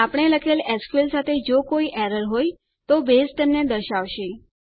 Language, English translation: Gujarati, If there are any errors with the SQL we wrote, Base will point them out